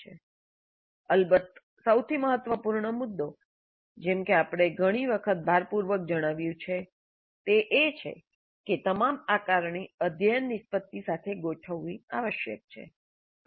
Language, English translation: Gujarati, Of course, the most important point as we have emphasized many times is that all assessment must be aligned to the COs